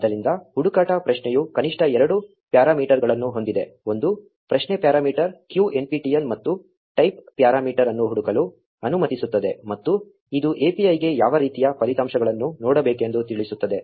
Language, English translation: Kannada, So, the search query has a minimum of two parameters a query parameter q lets search for nptel and a type parameter which tells the API what type of results to look for